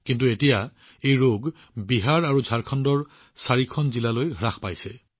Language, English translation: Assamese, But now this disease is confined to only 4 districts of Bihar and Jharkhand